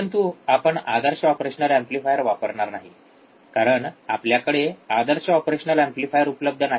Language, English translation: Marathi, But we are not going to use an ideal operational amplifier, because we do not have ideal operational amplifier